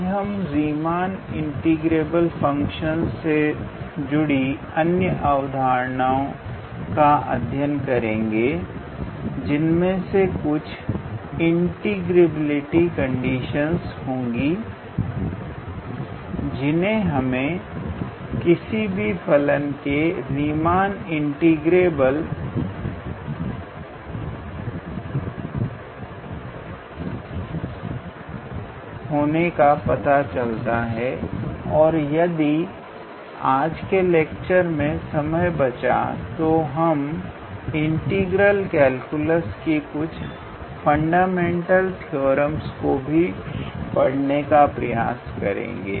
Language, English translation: Hindi, So, today basically we will extend these concepts of Riemann integrable functions; there are some how to say integrability conditions for a function to be Riemann integrable and we will also try to look into a fundamental theorem of integral calculus if time permits in today’s lecture